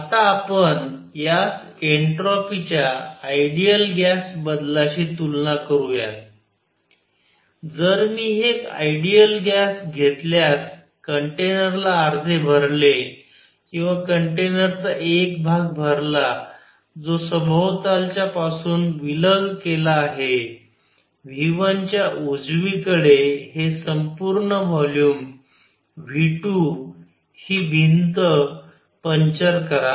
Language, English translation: Marathi, Now, let us compare this with an ideal gas change of entropy, if I take an ideal gas fill 1 half or 1 portion of a container which is isolated from surroundings right of V 1 and this whole volume is V 2 and puncture this wall